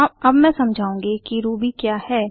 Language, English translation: Hindi, Now I will explain what is Ruby